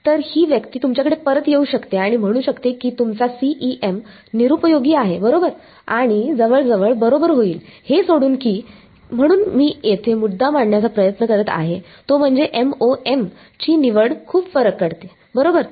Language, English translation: Marathi, So, this person may come back at you and say your CEM is useless right and will almost be correct except that, as I am the point I am trying to make here is that the choice of MoM makes a huge difference right